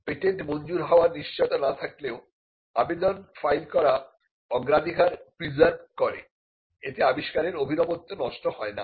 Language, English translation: Bengali, It is not necessary that the patent should be granted, but filing an application preserves the priority and it cannot be used as a novelty killing disclosure